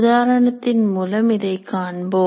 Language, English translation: Tamil, We'll presently see the example